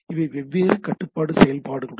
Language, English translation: Tamil, There are several control function